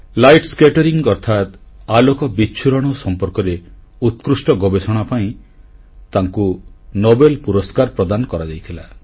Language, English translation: Odia, He was awarded the Nobel Prize for his outstanding work on light scattering